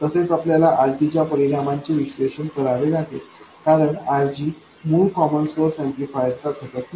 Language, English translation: Marathi, Also, we have to analyze the effect of RG, because RG is not a component that is in the basic common source amplifier